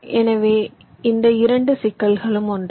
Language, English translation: Tamil, so these two problems are the same